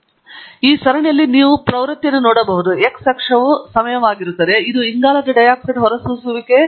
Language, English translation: Kannada, And you can see in this series there is a trend, the x axis is time the year in which it was the carbon dioxide emission was collected